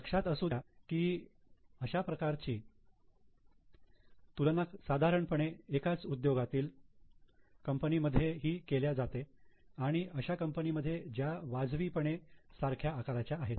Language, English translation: Marathi, Keep in mind that this comparison should normally be made with the same industry and with reasonably similar sizes